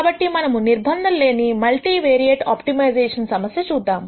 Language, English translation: Telugu, So, let us look at an unconstrained multivariate optimization problem